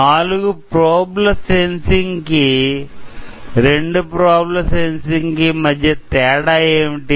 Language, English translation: Telugu, So, what is the different between a four probe sensing at the two probes sensing